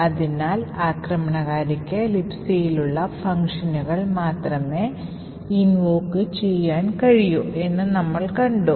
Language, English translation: Malayalam, So, we had seen that the attacker could only invoke all the functions that are present in libc